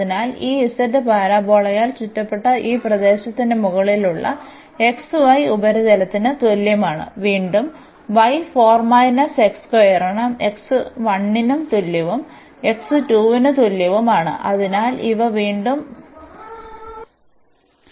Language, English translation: Malayalam, So, we have this z is equal to x y surface over this region which is enclosed by this parabola, again y is equal to 4 minus x square and x is equal to 1 and x is equal to 2